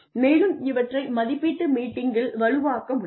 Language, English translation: Tamil, And, that can be reinforced, in an appraisal meeting